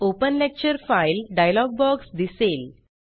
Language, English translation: Marathi, The Open Lecture File dialogue box appears